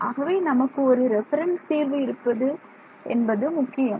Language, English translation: Tamil, So, it is very good we have a reference solution